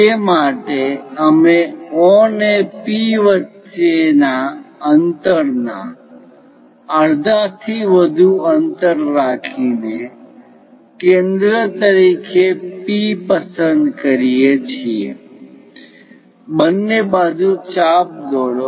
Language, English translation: Gujarati, For that we pick P as centre more than the half of the distance between O and P make arcs on both the sides